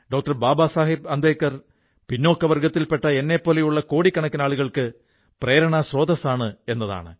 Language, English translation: Malayalam, Baba Saheb Ambedkar is an inspiration for millions of people like me, who belong to backward classes